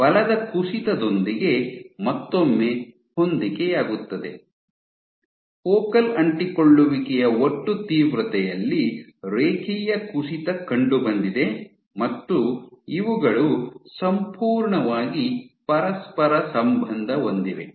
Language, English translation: Kannada, So, once again concomitant with drop in force there was a linear drop in the total intensity of the focal adhesion and also, these were correlated perfectly correlated